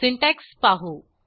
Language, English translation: Marathi, Let us see the syntax